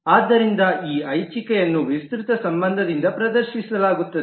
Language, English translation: Kannada, So this optionality is demonstrated by the extend relationship